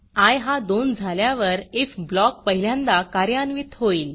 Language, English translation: Marathi, When i is equal to 2, the if block is executed for the first time